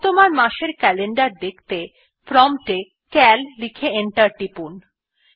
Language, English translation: Bengali, To see the current months calendar, type at the prompt cal and press enter